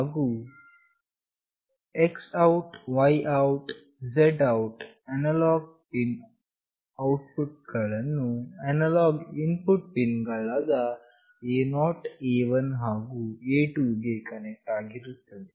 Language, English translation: Kannada, And the X OUT, Y OUT and Z OUT analog pin outputs will be connected to the analog input pins A0, A1 and A2